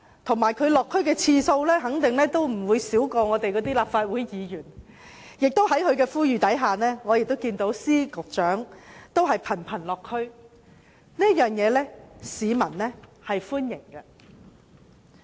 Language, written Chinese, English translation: Cantonese, 她落區的次數肯定不會比立法會議員少，而且在她呼籲下，司局長也頻頻落區，市民對此表示歡迎。, The district visits she made are certainly comparable to those made by Legislative Council Members . In response to her appeal Secretaries of Departments and Directors of Bureaux have also frequently visited the districts and they are warmly received by the public